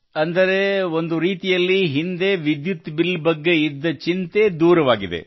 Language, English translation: Kannada, That is, in a way, the earlier concern of electricity bill is over